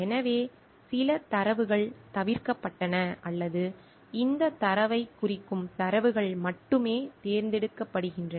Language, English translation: Tamil, So, certain datas are omitted or only those data are chosen which will represent this idea